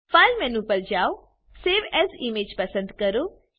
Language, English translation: Gujarati, Go to File menu, select Save as image